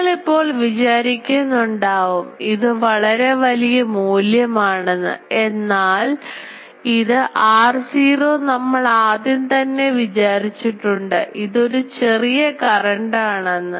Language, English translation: Malayalam, So, you will be thinking that this is very high value, but this r naught [laughter] is already we assumed it is a small current element